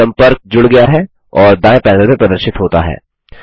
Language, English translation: Hindi, The contact is added and displayed in the right panel